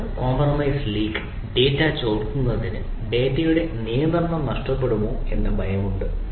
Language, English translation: Malayalam, we will cloud compromise, leak, confidential client data right, fear of loss of control over the data